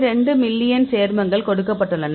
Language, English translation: Tamil, 2 million compounds